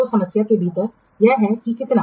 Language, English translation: Hindi, So, in the problem it is so that how much